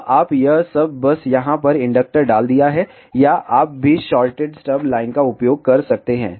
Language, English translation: Hindi, So, all you do it is just put an inductor over here or you can use shorted stub line also